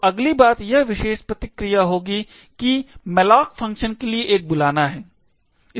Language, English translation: Hindi, So, the next thing will look at is this particular response over here which is a call to the malloc function